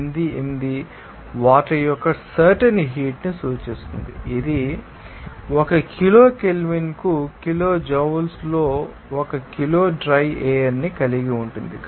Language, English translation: Telugu, 88 refers that you know a specific heat of the water that contains by that one kg of the dry air in kilojoules per kg kelvin